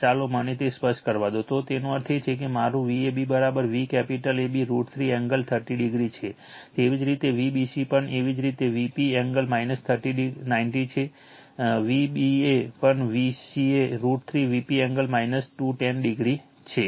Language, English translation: Gujarati, So, let me clear it, so that means, my V ab is equal to V capital AB root 3 angle 30 degree, same thing V bc also same thing, V p angle minus 90 degree, V ca also V ca root 3 V p angle minus 210 degree